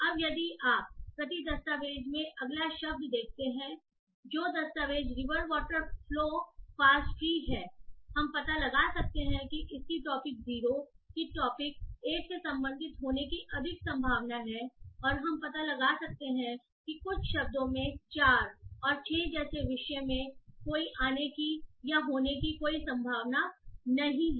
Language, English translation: Hindi, Now if we see next word document which is the document river water flow fast tree what we can find is that again it is having a higher probability of belonging to topic zero than topic one and we can find that some of the words have no no occurrence or no probability of occurrence in topic 1 like the 4 and 6